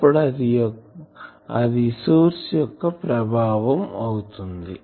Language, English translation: Telugu, So, that will be the effect of this source